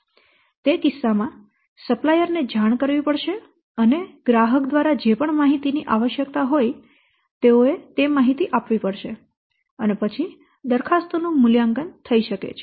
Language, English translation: Gujarati, In that case, the supplier has to be informed and what information you require more, they have to give those information and then the evaluation of the proposals may take place